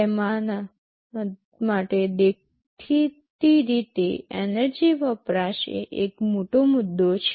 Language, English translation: Gujarati, For them obviously, energy consumption is a big issue